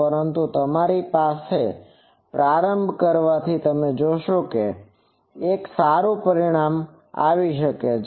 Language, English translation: Gujarati, But to start with you will see that this gives a good result